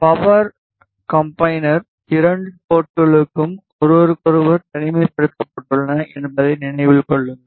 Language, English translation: Tamil, Remember that the 2 ports of the power combiners are isolated from each other